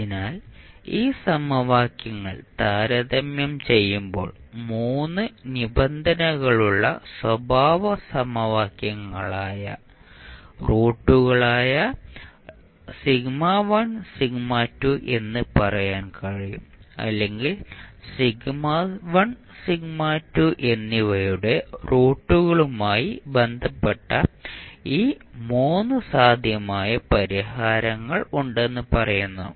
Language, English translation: Malayalam, So what we can say that when you compare these equations then you can say that sigma1 and sigma2 which are the roots of the characteristic equations we have 3 conditions or we say that there are 3 possible types of solutions related to the roots of sigma 1 and sigma 2